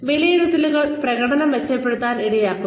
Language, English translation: Malayalam, Appraisals can leads to improvement in performance